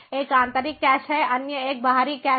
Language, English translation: Hindi, one is the internal cache, the other one is the external cache